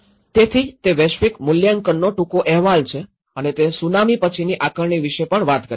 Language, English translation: Gujarati, So, that is briefly about the Global Assessment Reports and also talk about the post Tsunami assessment